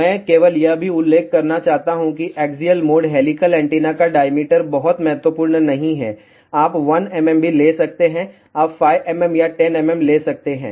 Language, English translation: Hindi, I just want to also mention that the diameter of axial mode helical antenna is not very important, you can take 1 mm also, you can take 5 mm or 10 mm